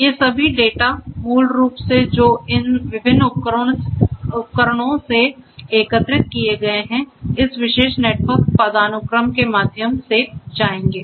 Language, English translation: Hindi, All of these data basically that are collected from these different in devices will go through this particular network hierarchy